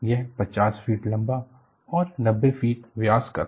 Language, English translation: Hindi, It was 50 feet tall and 90 feet in diameter